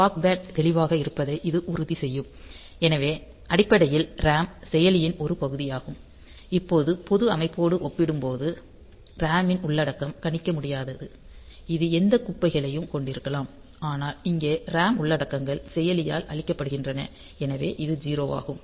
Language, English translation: Tamil, So, that will ensure that the scratch pad is clear; so RAM is basically a part of the processor now we can say compared to the general system, where the over the content of the RAM is not predictable; it can contain any garbage, but here the RAM contents are cleared by the processor; so, it is all 0